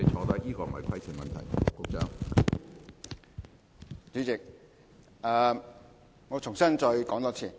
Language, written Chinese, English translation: Cantonese, 主席，我重新作答。, President I will reply anew